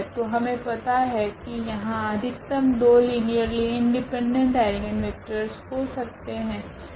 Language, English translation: Hindi, So, we know that there will be at most 2 linearly independent eigenvectors